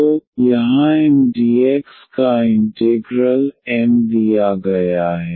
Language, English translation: Hindi, So, here the integral of Mdx, M is given